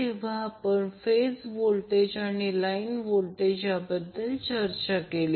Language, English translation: Marathi, We need to calculate the phase and line currents